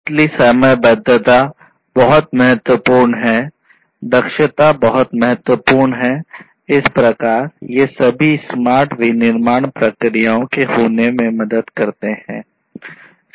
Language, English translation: Hindi, Real timeliness is very important, efficiency is very important; so all of these help in having smart manufacturing processes